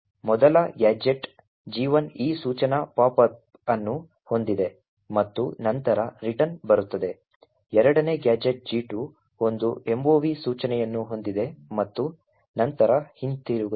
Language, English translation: Kannada, The first gadget G1 is what we have seen before and essentially has this instruction pop followed by a return, the second gadget has a mov instruction followed by a return